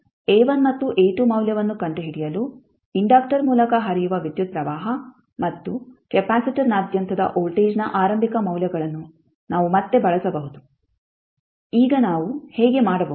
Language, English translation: Kannada, We can again use the initial values of current and voltage that is current flowing through the inductor and voltage across the capacitor to find out the value of A1 and A2